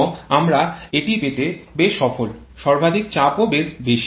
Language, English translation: Bengali, And we are quite successful in getting that the maximum pressure is also quite higher